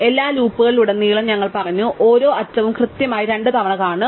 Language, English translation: Malayalam, We said across all the loops, we will see each edge exactly twice